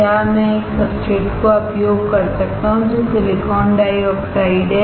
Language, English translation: Hindi, Can I use a substrate which is silicon dioxide